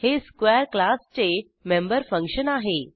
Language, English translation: Marathi, It is a member function of class square